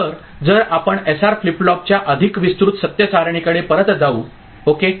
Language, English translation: Marathi, So, if we refer back to more elaborate truth table of SR flip flop ok